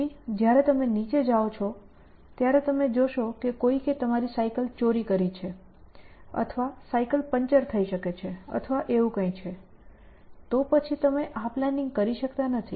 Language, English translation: Gujarati, Then when you go down, you find that somebody has stolen your bicycle or may be bicycle is punctured or something like that, then you can no longer do the planning